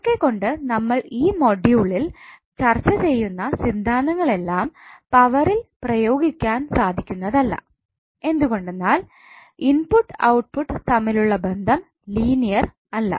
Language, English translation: Malayalam, So that is why whatever the theorems we will cover in this particular module will not be applicable to power because the relationship between input and output is not linear